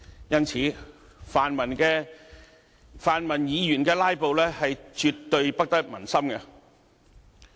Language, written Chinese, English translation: Cantonese, 因此，泛民議員的"拉布"絕對不得民心。, Hence the filibuster staged by the pan - democratic Members definitely does not have the support of the community